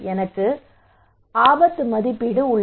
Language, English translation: Tamil, So I have a kind of appraisal of risk